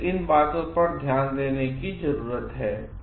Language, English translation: Hindi, So, these things need to be taken into consideration